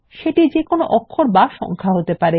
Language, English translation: Bengali, This can be either a letter or number